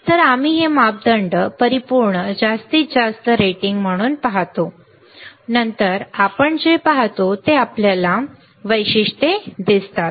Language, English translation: Marathi, So, we see this parameters as absolute maximum ratings, then what we see then we see Electrical Characteristics ok